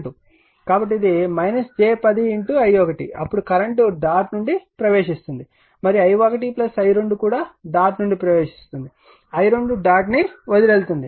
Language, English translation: Telugu, So, this is minus j 10 minus j 10 into i 1 right, then at current your what you call even entering the dot and i 1 plus i 2 entering the dot i 2 is leaving the dot